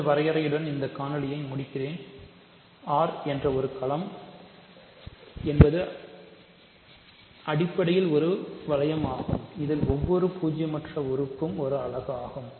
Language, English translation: Tamil, So, let me end this video with this definition: a field is a ring R in which every non zero element is a unit